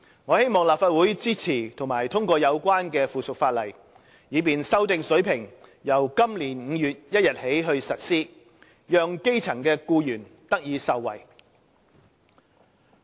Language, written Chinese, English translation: Cantonese, 我希望立法會支持及通過有關的附屬法例，以便修訂水平由今年5月1日起實施，讓基層僱員得以受惠。, I hope that the Legislative Council will support and pass the relevant subsidiary legislation for the revised rate to take effect on 1 May this year so as to benefit grass - roots employees